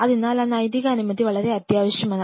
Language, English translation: Malayalam, So, that ethical clearance is very essential